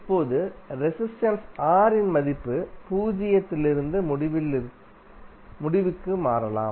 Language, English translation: Tamil, Now, the value of resistance R can change from zero to infinity